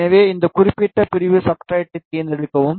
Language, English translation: Tamil, So, select this particular segment substrate yes